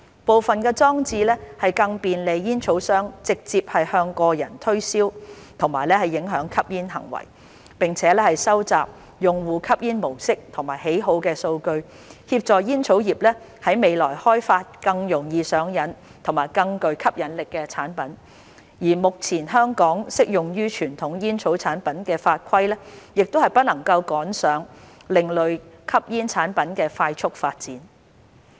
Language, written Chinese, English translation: Cantonese, 部分裝置更便利煙草商直接向個人推銷和影響吸煙行為，並且收集用戶吸煙模式和喜好的數據，協助煙草業於未來開發更容易上癮和更具吸引力的產品，而目前香港適用於傳統煙草產品的法規不能趕上另類吸煙產品的快速發展。, Some devices even make it easier for tobacco companies to do marketing directly among individuals and influence smoking behaviour and collect data on users smoking patterns and preferences to help the tobacco industry develop more addictive and appealing products in the future . The current regulations applicable to conventional tobacco products in Hong Kong cannot keep up with the rapid development of ASPs